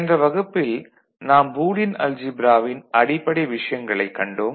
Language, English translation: Tamil, Hello everybody, in the last class we discussed fundamentals of Boolean algebra